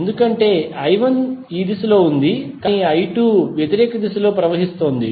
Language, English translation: Telugu, Because I 1 is in this direction but I 2 is flowing in opposite direction